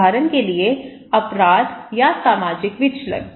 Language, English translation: Hindi, For example; crime or social deviance